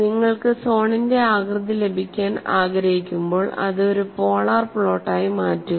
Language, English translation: Malayalam, And when you want to get the shape of the zone, make it as a polar plot